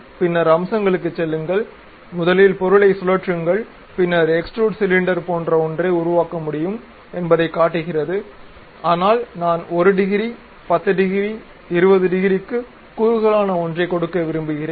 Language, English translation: Tamil, Then go to Features; rotate the object first, then extrude boss it shows something like cylinder can be made, but I would like to give something like taper maybe 1 degree, 10 degree, 20 degree